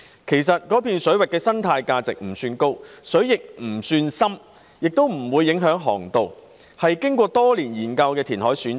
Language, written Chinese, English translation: Cantonese, 其實，中部水域的生態價值不算高，水亦不算深，又不會影響航道，是經過多年研究的填海選址。, As a matter of fact the reclamation site at the Central Waters whose ecological value is not high waters are not deep and fairways will remain intact after reclamation has been identified after years of studies